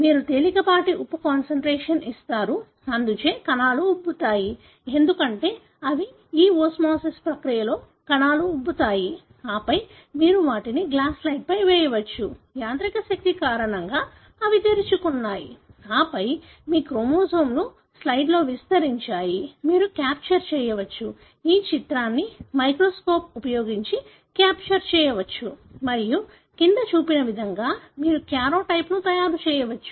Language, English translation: Telugu, You give a mild salt concentration, therefore the cells swell, because they to, this osmosis process the cells swell and then you can drop them on a glass slide; because of the mechanical force, they burst open and then your chromosomes just spread out in the slide, which you can capture, the image can be captured using a microscope and you can make the karyotype as shown below